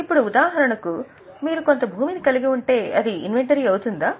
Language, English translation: Telugu, Now, for example, if you are holding some land, will it be an inventory